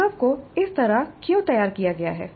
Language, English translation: Hindi, So why the experience has been framed that way